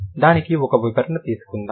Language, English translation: Telugu, Let's have an explanation for that